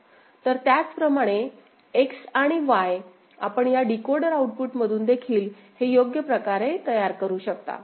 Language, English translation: Marathi, So, similarly X and Y, you can generate from this decoder output also a by appropriate this thing